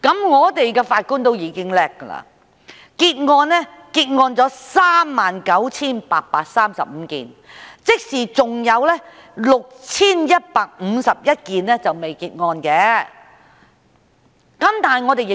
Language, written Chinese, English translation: Cantonese, 本港的法官已經很能幹，結案數目達 39,835 宗，即還有 6,151 宗尚未結案。, Judges in Hong Kong are already very competent as the number of cases disposed of by DCs was 39 835 meaning that 6 151 cases have yet to be completed